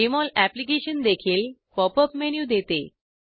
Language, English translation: Marathi, Jmol Application also offers a Pop up menu